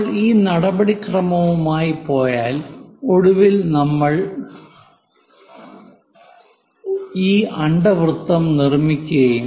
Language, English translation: Malayalam, If we go with this procedure, finally we will construct this ellipse